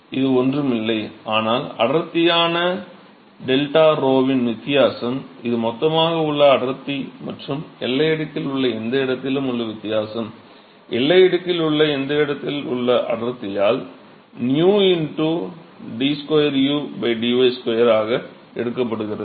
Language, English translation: Tamil, So, this is nothing, but the difference in the density delta rho, which is the difference in the densities in the bulk and any location in the boundary layer, divided by the density in the that location in the boundary layer plus nu into d square u by dy square